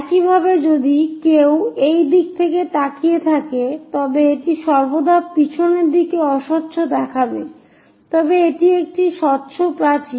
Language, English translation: Bengali, Similarly, if one is looking from this direction, this one always be opaque on the back side, but this one is transparent wall